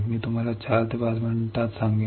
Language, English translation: Marathi, I will tell you in 4 to5 minutes